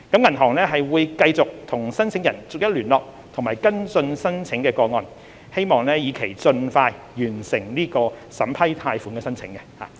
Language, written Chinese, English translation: Cantonese, 銀行會繼續與申請人逐一聯絡和跟進申請個案，以期盡快完成審批貸款申請。, The banks will continue to contact each and every applicant and follow up on the applications with a view to completing expeditiously the processing of loan applications